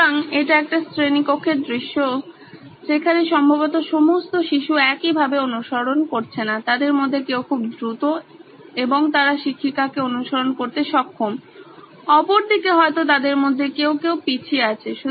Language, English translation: Bengali, So this is a typical classroom scenario where all children probably don’t follow at the same pace and some of them are going fast, they are able to follow the teacher on the other hand maybe there are some of them are lagging behind